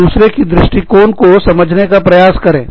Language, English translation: Hindi, Please, try and understand, each other's point of view